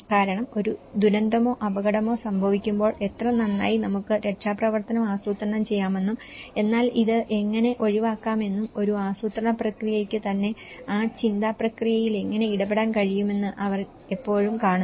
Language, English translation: Malayalam, Because they always see that how well at the event of a disaster or risk how well we can plan for rescue but how to avoid this okay, how a planning process itself can engage that thought process in it